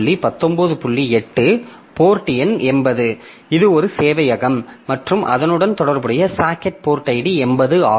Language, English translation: Tamil, So, this is a server and the corresponding socket port ID is 80